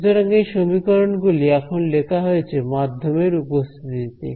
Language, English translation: Bengali, So, these equations that are written now are in the presence of a medium